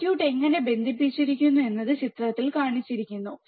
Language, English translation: Malayalam, How the circuit is connected is shown in figure